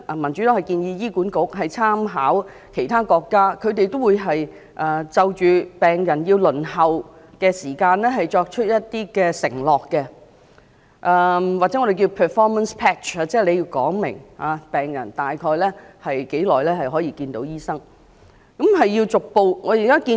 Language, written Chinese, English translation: Cantonese, 民主黨建議醫管局參考其他國家的做法，就着病人輪候時間作出承諾，或我們稱為 performance pledge， 即醫管局要清楚說出病人大約需等待多久便能看到醫生。, The Democratic Party suggests that HA should make reference to the performance pledge on the waiting time in other countries . That is HA should state clearly how long patients will wait before they can see the doctors